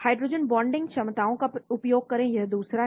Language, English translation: Hindi, Make use of hydrogen bonding capabilities, this is the second